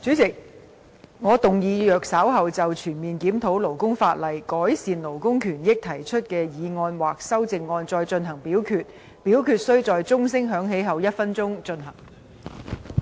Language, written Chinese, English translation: Cantonese, 主席，我動議若稍後就"全面檢討勞工法例，改善勞工權益"所提出的議案或修正案再進行點名表決，表決須在鐘聲響起1分鐘後進行。, President I move that in the event of further divisions being claimed in respect of the motion on Conducting a comprehensive review of labour legislation to improve labour rights and interests or any amendments thereto this Council do proceed to each of such divisions immediately after the division bell has been rung for one minute